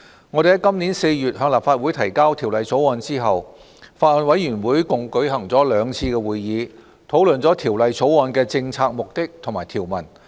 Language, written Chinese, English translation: Cantonese, 我們在今年4月向立法會提交《條例草案》後，法案委員會共舉行了兩次會議，討論《條例草案》的政策目的和條文。, After the introduction of the Bill into the Legislative Council in April this year the Bills Committee has held two meetings to discuss the policy objectives and provisions of the Bill